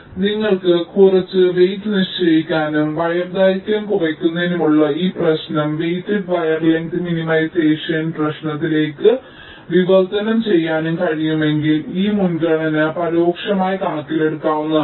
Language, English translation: Malayalam, ok, so if you can assign some weights and if you can translate this problem of ah, minimizing wire length to a weighted wire length minimization problem, then this net priority can be implicitly taken into account, just to modify the cost function for the placement